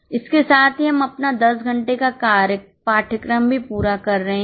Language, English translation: Hindi, With this we are also completing our course of 10 hours